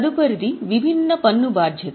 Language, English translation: Telugu, Next is deferred tax liability